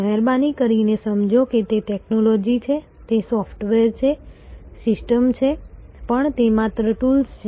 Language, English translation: Gujarati, Please understand, that the technology is there, the software is there, the systems are there, but they are only tools